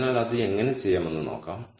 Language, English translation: Malayalam, So, let us see how we do that